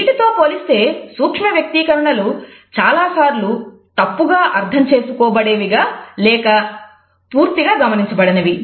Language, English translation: Telugu, In comparison to that micro expressions are either often misinterpreted or missed altogether